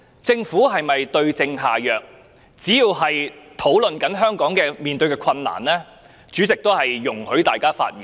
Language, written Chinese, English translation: Cantonese, 只要議員的發言是討論香港面對的困難，主席便會容許大家發言。, As long as Members speeches discuss the difficulties faced by Hong Kong the President will allow Members to speak